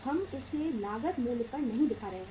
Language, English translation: Hindi, We are not showing it at the cost price